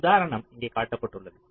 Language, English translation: Tamil, so just an example is shown here